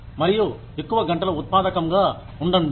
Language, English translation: Telugu, And, be productive for longer hours